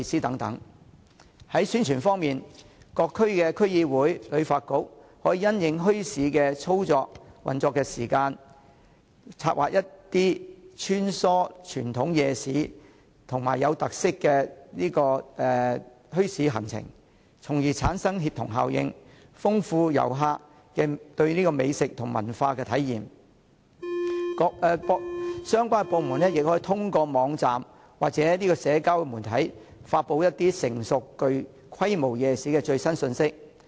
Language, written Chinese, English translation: Cantonese, 在宣傳方面，各區區議會和香港旅遊發展局可因應墟市的運作時間，策劃一些穿梭傳統夜市及具特色的墟市行程，從而產生協同效應，豐富旅客對美食和文化的體驗，相關部門也可透過網站或社交媒體，為一些成熟和有規模的夜市發布最新信息。, To promote bazaars the District Council of each district and the Hong Kong Tourism Board can plan itineraries of visiting a series of traditional night markets and bazaars with special features according to their business times so as to create synergy and enrich the dining and cultural experience for tourists . The relevant government departments can also release the latest news of some mature and established night markets through their websites or the social media